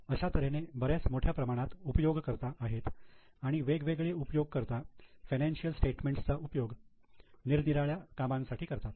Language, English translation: Marathi, So, there are large number of users and different users use the statements for different purposes